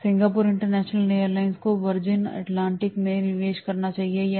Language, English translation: Hindi, Should Singapore International Airlines invest in Virgin Atlantic